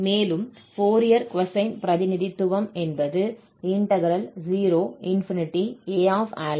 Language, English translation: Tamil, The Fourier cosine representation now is 2/p